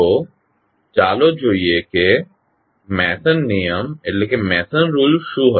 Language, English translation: Gujarati, So, let us see what was the Mason rule